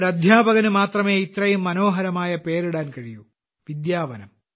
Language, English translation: Malayalam, Now only a teacher can come up with such a beautiful name 'Vidyavanam'